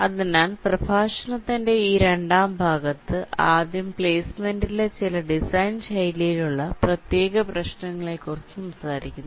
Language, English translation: Malayalam, so in this second part of the lecture, first we talked about some of the design style specific issues in placement